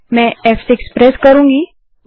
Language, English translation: Hindi, I am pressing F6 now